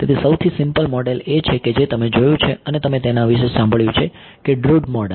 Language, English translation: Gujarati, So, the simplest model is actually something that you have seen you have heard of Drude model